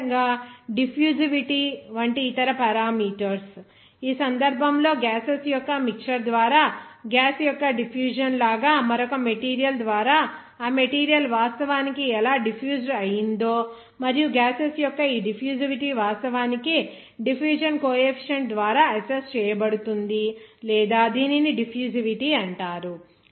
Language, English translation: Telugu, Similarly, other parameters like diffusivity, this is also one of the, in this case how that material actually diffused through another material, like diffusion of the gas through the mixture of the gases and also this degree of diffusivity of the gases can be actually assessed by the diffusion coefficient or simply it is called diffusivity